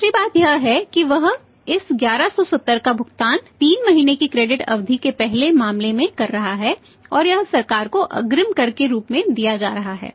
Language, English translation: Hindi, Second thing is that he is paying this 1170 in the first case 3 months credit period and this is going as advance tax to the government